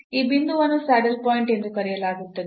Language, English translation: Kannada, So, these are the points called saddle points